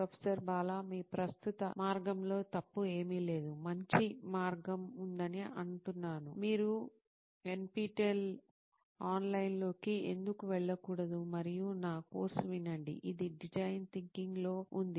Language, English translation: Telugu, There is nothing wrong with your current way, just saying that there is a better way, why do not you go online on NPTEL and listen to my course, it’s on Design Thinking